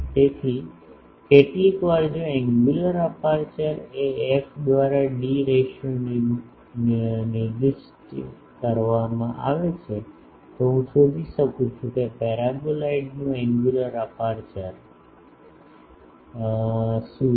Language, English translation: Gujarati, So, sometimes if the angular aperture is specified f by d ratio is specified or if f by d ratio is specified, I can find what is the angular aperture of the paraboloid